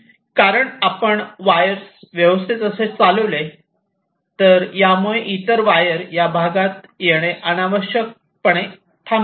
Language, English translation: Marathi, it because if you run a wire like this, it can unnecessary stop the other wires from coming in this area